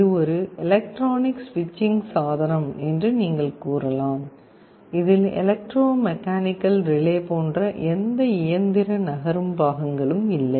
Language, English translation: Tamil, This you can say is an electronic switching device, there is no mechanical moving parts like in an electromechanical relay